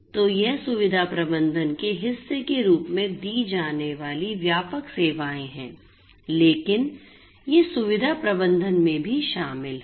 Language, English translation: Hindi, So, these are the broader you know services offered as part of you know facility management, but these are also inclusive in facility management